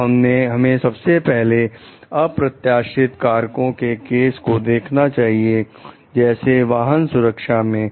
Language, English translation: Hindi, So, let us look into the case of unanticipated factor, auto safety